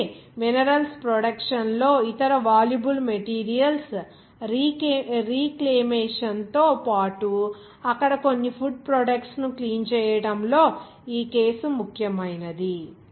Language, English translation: Telugu, So this case is important in the production of minerals also the reclamation of other valuable materials, as well as the cleaning of some food products there